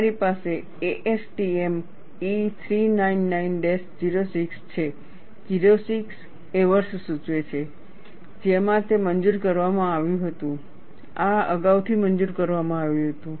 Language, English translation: Gujarati, You have ASTM E399 06, the 06 indicates the year in which it was approved or reapproved, because it has a life